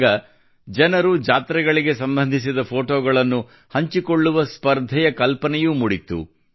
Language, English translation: Kannada, Then the idea of a competition also came to mind in which people would share photos related to fairs